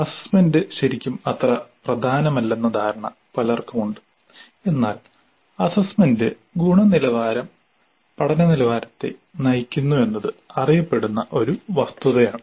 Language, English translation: Malayalam, Many have a notion that assessment is really not that important, but it is a known fact that the quality of assessment drives the quality of learning